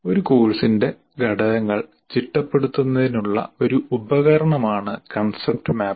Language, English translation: Malayalam, Concept map is one tool to organize or to organize the elements of a course, but there are other things